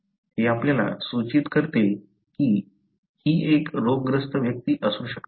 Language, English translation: Marathi, So, that hints us that this might be a diseased individual